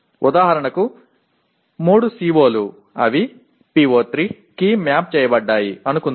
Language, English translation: Telugu, For example there are 3 COs that address let us say PO3